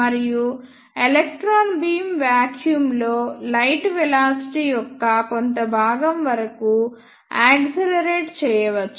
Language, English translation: Telugu, And the electron beam can be accelerated up to a selection of velocity of light in vacuum